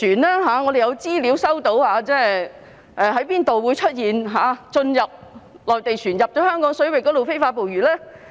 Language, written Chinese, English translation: Cantonese, 根據我們接獲的資料，內地船隻曾進入哪些香港水域非法捕魚呢？, According to the information received by us which part of Hong Kong waters have Mainland vessels entered to catch fish illegally?